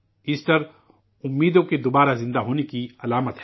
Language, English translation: Urdu, Easter is a symbol of the resurrection of expectations